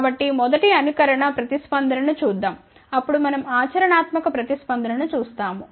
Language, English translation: Telugu, So, let us see the first simulated response then we will see the practical response